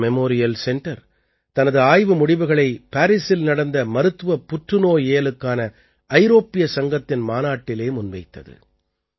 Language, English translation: Tamil, The Tata Memorial Center has presented the results of its study at the European Society of Medical Oncology conference in Paris